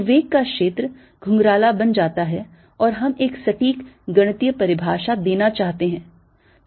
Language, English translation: Hindi, so the velocity field becomes curly and we want to give a precise mathematical definition